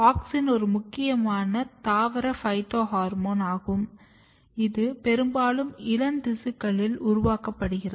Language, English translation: Tamil, So, auxin; as I said auxin is a very important plant phytohormones which is being synthesized mostly in the young tissues